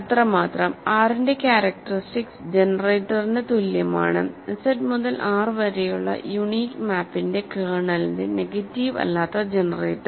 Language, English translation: Malayalam, So, that is all; so, characteristic of R is equal to the generator, the non negative generator of the kernel of the unique map from Z to R